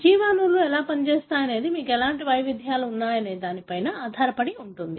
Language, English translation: Telugu, The, how the biomolecules function depends on what kind of variations you have